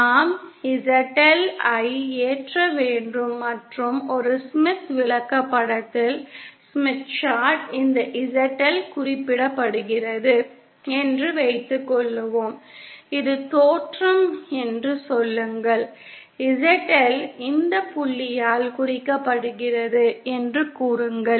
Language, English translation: Tamil, Suppose we have load ZL and say on a Smith Chart this ZL is represented, say this is the origin, say ZL is represented by this point